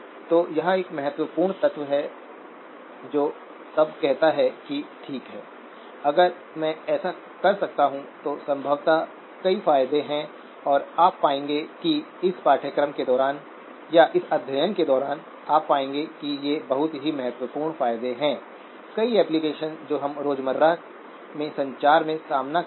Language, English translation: Hindi, So this is an important element which then says that okay if I could do this, possibly there are several advantages and you will find that over the course of this or during the course of this study, you will find that these are very substantial advantages in many of the applications that we will encounter in communications in everyday